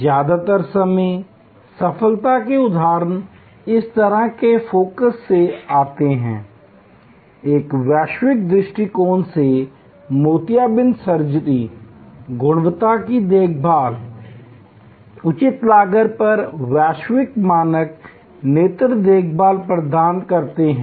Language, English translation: Hindi, Most of the time, success examples comes from this kind of focus, cataract surgery from a global perspective, offer quality eye care, global standard eye care at reasonable cost